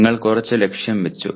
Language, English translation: Malayalam, You set some target